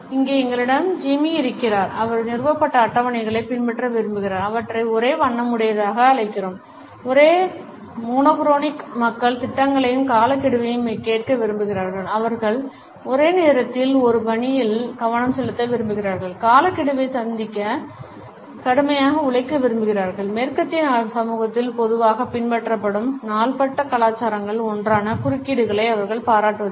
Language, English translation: Tamil, Here we have Jimmy, he likes to follow established schedules, we call them monochromic; monochronic people like to hear the plans and deadlines their time is valuable they like to focus on one task at a time and work hard to meet deadlines and they do not appreciate interruptions one of the chronic cultures commonly followed in western society